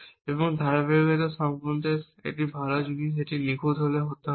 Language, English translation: Bengali, And the good thing about this consistency check is at it does not have to be perfect